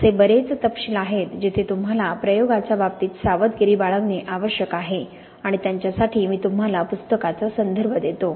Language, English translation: Marathi, There are many details where you need to be careful in terms of experimentation and for those I refer you to the book